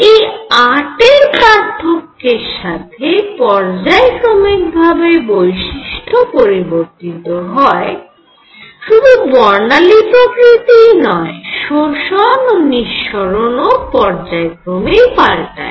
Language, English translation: Bengali, The difference of 8 periodically the property change, not only that the spectroscopic the nature of optical lines; that means, absorption and emission also varied in periodic fashion